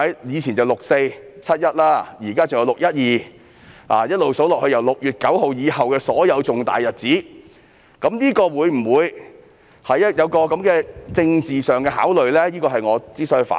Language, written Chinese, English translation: Cantonese, 以往有"六四"、"七一"，現在還有"六一二"，一直數下去，便是自6月9日以後的所有重大日子，政府定會就這些日子作出政治考慮，因此我要提出反對。, In the past there were the 4 June incident and 1 July incident and now there is also the 12 June incident . If we go on with the list all the red - letter days since 9 June 2019 will be included . Given that the Government will certainly have political considerations regarding these days I must raise my objection